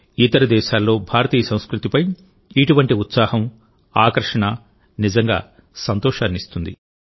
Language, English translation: Telugu, Such enthusiasm and fascination for Indian culture in other countries is really heartening